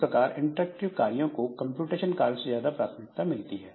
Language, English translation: Hindi, So, this interactive jobs they definitely have higher priority than these jobs which are computation oriented jobs